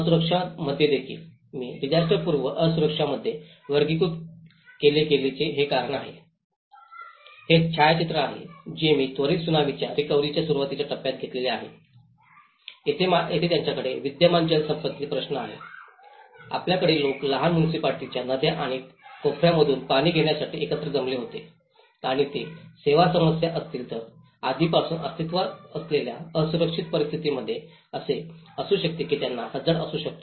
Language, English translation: Marathi, In vulnerability also, I have classified into pre disaster vulnerabilities which are because, This is a photograph which I have taken in the early stage of Tsunami recovery in the relief stage where they have an existing water resources issues, you have, people used to gather, to get water from the small municipal taps and around the corners and they have service issues so, there are already an existing vulnerable situations it could be they are prone to the hazards